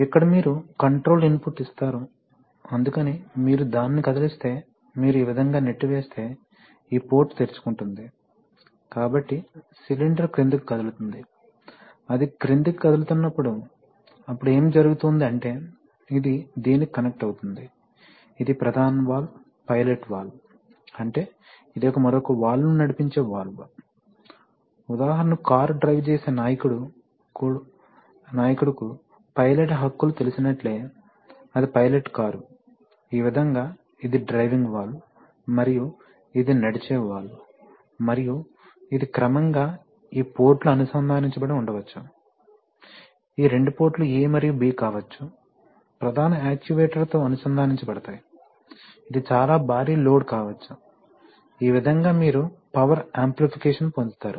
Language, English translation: Telugu, So, you give actually your control input here, so accordingly if you move it, if you push it this way then this port will open and this port will open, so the cylinder will move down, when it moves down, when it moves down then what is going to happen is that, this will get connected to this and this will get connected to this, so this is the main valve, this is the pilot valve, that is, it is a valve which drives another valve, just like you know a pilot rights in front of a car, that is a pilot car, the pilot is actually the leader which would drive, so in this way this is the driving valve and this is the driven valve and this in turn, this ports maybe connected, these two ports A and B may be, will be connected to the main actuator, which may be a very heavy load, right, so this way you get power amplification